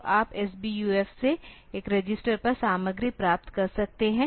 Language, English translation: Hindi, So, you can get the content from S BUF onto a register